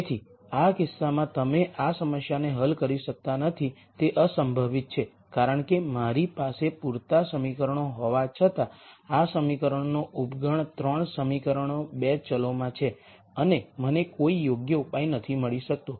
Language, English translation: Gujarati, So, in this case you cannot solve this problem it is infeasible because though I have enough equations a subset of these equations 3 equations are in 2 variables and I cannot nd a valid solution